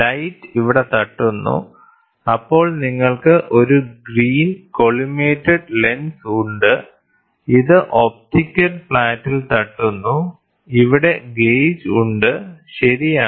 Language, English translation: Malayalam, So, the light hits here then you have a collimated lens, this hits at an optical flat and here is the gauge, right